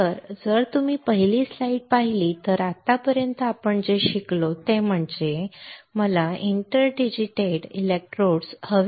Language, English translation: Marathi, So, if you see the first slide this is what we have learned until now is that if I want to have a interdigitated electrodes right